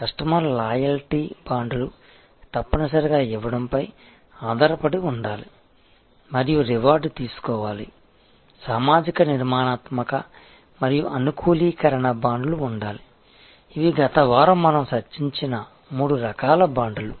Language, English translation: Telugu, Customer loyalty bonds must be based on give and take there must be reward, there must be social, structural and customization bonds these are the three types of bonds that we discussed last week